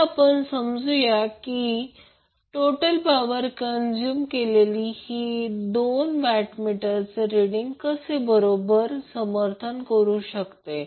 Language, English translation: Marathi, Now, let us understand how we can justify the total power consumed is equal to the sum of the two watt meter readings